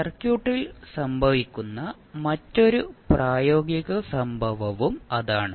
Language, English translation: Malayalam, So, that is also another practical event which happens in the circuit